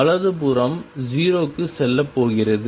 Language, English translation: Tamil, The right hand side is going to go to 0